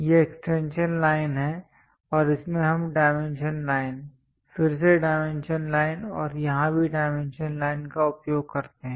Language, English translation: Hindi, These are the extension lines and in that we use dimension line, again dimension line here and also here dimension line